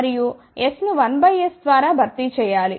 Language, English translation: Telugu, And S has to be replaced by 1 by S